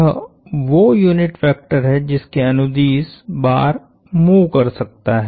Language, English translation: Hindi, That is the unit vector along which the bar can move